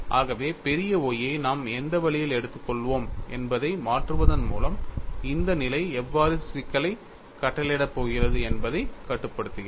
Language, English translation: Tamil, So, by changing what way we take capital Y, we would have control on how this condition is going to dictate the problem